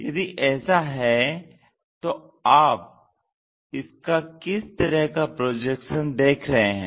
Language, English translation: Hindi, If that is the case, what is the projection you are seeing